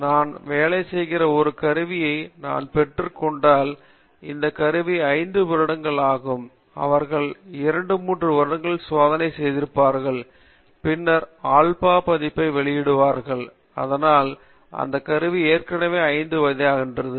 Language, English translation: Tamil, So if I get a tool that I am working, this tool is 5 years old they would have tested for 2, 3 years and then release the alpha version to you and so that tool is already 5 years old